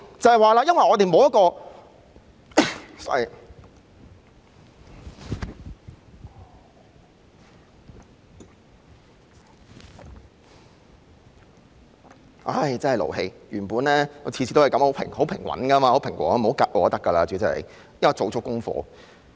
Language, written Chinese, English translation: Cantonese, 真的很勞氣，我原本每次都很平和的，主席不要"窒"我就可以了，我已做足功課。, I am really furious . I was originally very composed as long as the President did not make a dig at me . I have done my homework seriously